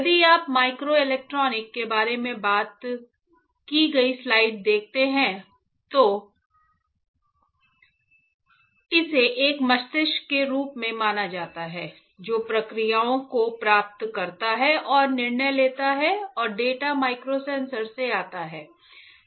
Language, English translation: Hindi, Say if you want to just quickly recall; if you see the slide we talked about microelectronics, then that is considered as a brain that receives processes and makes the decision and data comes from the microsensors